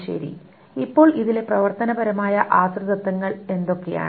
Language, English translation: Malayalam, Now, what are the functional dependencies in this